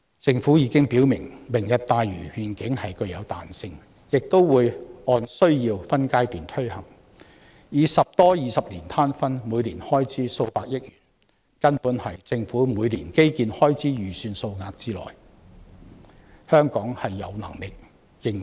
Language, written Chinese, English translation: Cantonese, 政府已經表明"明日大嶼願景"具有彈性，而且會按需要分階段推行，以十多二十年攤分，每年開支為數百億元，根本是政府每年基建開支預算之內，香港有能力應付。, The Government has already made it clear that the Lantau Tomorrow Vision carries flexibility and will be implemented in phases as per need . The cost will be spread over 10 to 20 years and the annual expenditure will be a dozen billion dollars totally within the annual government infrastructure budget which Hong Kong can afford